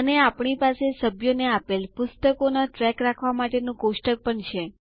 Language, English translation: Gujarati, And, we also have a table to track the books issued to the members